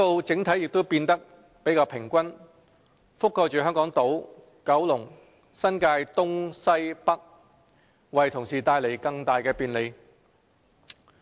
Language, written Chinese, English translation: Cantonese, 整體分布也變得較為平均，覆蓋香港島、九龍、新界東、西和北，為同事帶來更大便利。, The overall distribution which will cover Hong Kong Island Kowloon New Territories East New Territories West and New Territories North will also become more even thereby bringing more convenience to colleagues